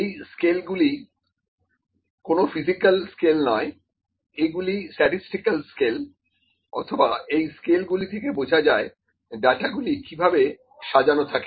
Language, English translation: Bengali, These are not the scales the physical scales, these are actually statistical scales or the scales how the data is organised, ok